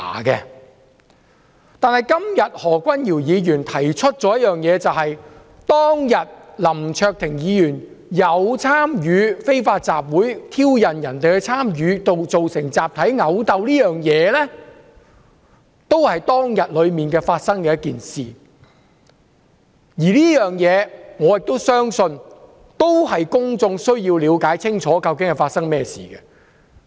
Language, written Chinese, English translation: Cantonese, 但是，今天何君堯議員提出一件事，就是當天林卓廷議員有參與非法集會，挑釁別人參與，造成集體毆鬥，這件事都是當天發生的，而我亦相信公眾需要了解清楚這件事。, However today Dr Junius HO has raised a matter namely that Mr LAM Cheuk - ting participated in an unlawful assembly and provoked others into a mass brawl on that day . This incident occurred on the same day and I also believe that the public needs to have a clear idea of the incident